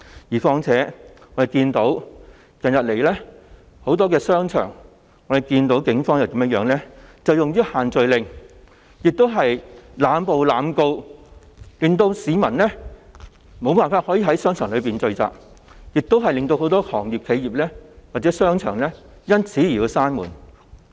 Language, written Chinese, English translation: Cantonese, 而且，我們看到近日在很多商場內出現的情況，就是警方以限聚令為由濫捕、濫告，令市民無法在商場內聚集，也令很多商鋪和商場關上門。, Also we have seen the recent happenings in a number of shopping malls . The Police used the social gathering restriction as the excuse for arbitrary arrests and prosecutions making people unable to gather in the shopping malls and forcing many shops and shopping malls to close their doors